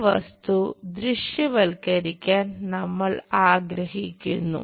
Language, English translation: Malayalam, This object we would like to visualize